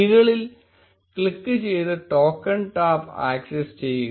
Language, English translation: Malayalam, Click on the keys and access token tab